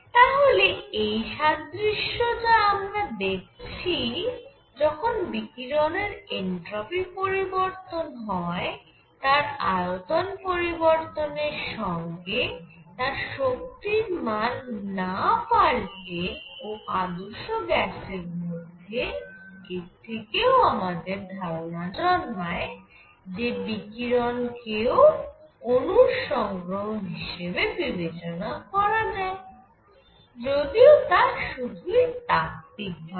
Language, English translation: Bengali, So, this analogy between entropy change of the radiation when it is allowed to changes volume without change in the energy and ideal gas gives you an idea that it can be treated like collection of molecules, but that is just a showing it theoretical to to check the validity one needs experiments